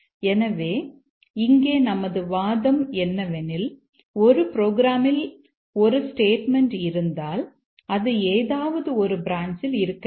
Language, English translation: Tamil, So, that's our argument here that if there is a statement in a program, it must be there on some branch